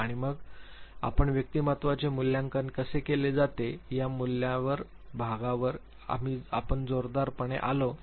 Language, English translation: Marathi, And then we came heavily on the assessment part, how personality is assessed